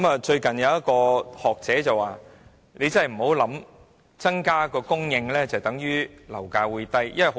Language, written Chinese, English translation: Cantonese, 最近有一位學者說，大家不要以為供應增加，樓價便會下跌。, As a scholar has recently said we should not think that an increase in supply will always lead to a decline in property prices